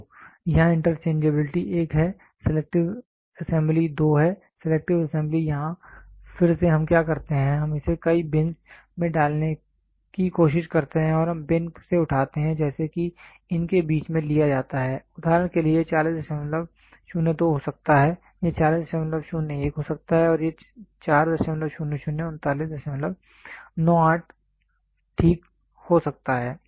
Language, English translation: Hindi, So, here interchangeability is one, selective assembly is two, selective assembly here again what we do is we try to put it into several bins and we pick from the bin such that in between these are taken into, for example, this can be 40